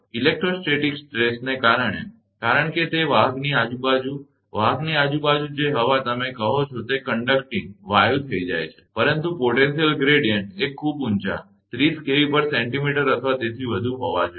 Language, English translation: Gujarati, Due to the electrostatic stress because, around that conductor that, air your what you call that air around the conductor becomes conducting right, but potential gradient has to be very high 30 kilovolt per centimeter and above